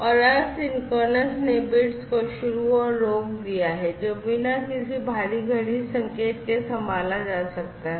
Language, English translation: Hindi, And, asynchronous basically has start and stop bits that can be handled, without any external clock signal